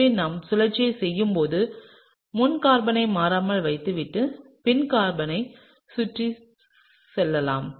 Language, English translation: Tamil, So, when we do the rotation, let’s keep the front carbon constant and just move around the back carbon, okay